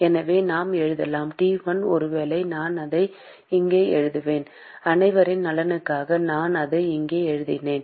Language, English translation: Tamil, So, we can write: T1 maybe I will write it here for the benefit of everyone I will write it here